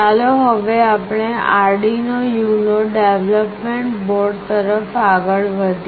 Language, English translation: Gujarati, Let us now move on to Arduino UNO development board